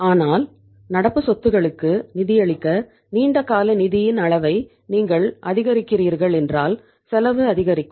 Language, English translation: Tamil, But if you are increasing the extent of the long term funds to fund the current assets then the cost will go up